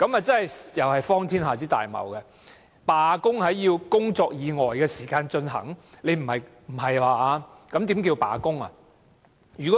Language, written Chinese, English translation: Cantonese, 這同樣是荒天下之大謬，罷工要在工作以外的時間進行，不是吧？, It is just equally preposterous . A strike has to be conducted outside working hours?